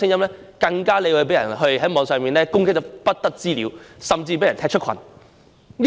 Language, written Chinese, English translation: Cantonese, 這種聲音在網上會被人瘋狂攻擊，甚至被人踢出群組。, On the Internet people expressing this kind of views will be subjected to frenzied attacks and even get kicked out of a chat group